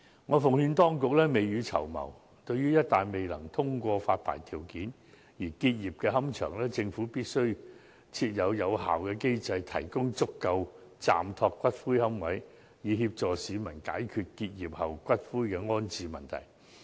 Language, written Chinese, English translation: Cantonese, 我奉勸當局必須未雨綢繆，對於一旦未能通過發牌條件而結業的龕場，政府必須設立有效的機制，提供足夠的暫託龕位，協助市民解決龕場結業後的骨灰安置問題。, I advise the Administration to plan ahead . In case some columbaria have to cease operation for non - compliance with the licensing requirements the Government must set up an effective mechanism to provide adequate temporary niches so as to resolve the ash disposal problem faced by the public after the closure of columbaria